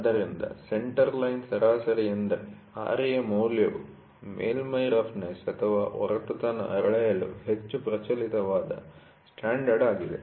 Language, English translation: Kannada, So, in centre line average is Ra value is the most prevalent standard for measuring a surface